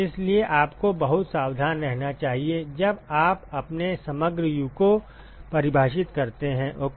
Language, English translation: Hindi, So, you should be very careful, when you define your overall U ok